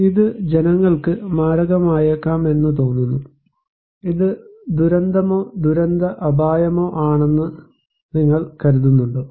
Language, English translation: Malayalam, Does it look like that this could be fatal for the people, should you consider this is as disaster or disaster risk